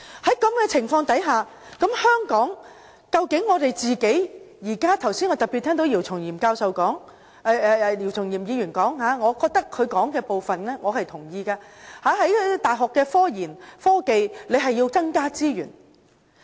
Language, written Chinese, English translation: Cantonese, 在這種情況下，我剛才特別聽到姚松炎議員發言，我也認同當中部分內容，在大學科研和科技方面，政府要增加資源。, In this regard I share some of the viewpoints mentioned by Dr YIU Chung - yim in his speech just now in which he said that the Government should deploy more resources on technology research and development for universities